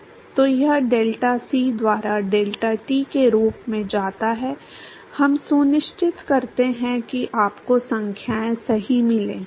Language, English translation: Hindi, So, that goes as deltac by deltat we make sure that you get the numbers right